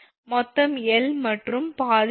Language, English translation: Tamil, total is your L and half is L by 2